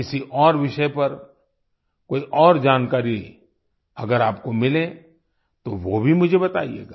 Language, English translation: Hindi, If you get any more information on any other subject, then tell me that as well